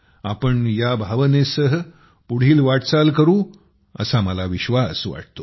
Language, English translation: Marathi, I am sure we will move forward with the same spirit